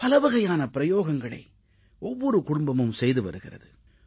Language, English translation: Tamil, All sorts of experiments are being carried out in every family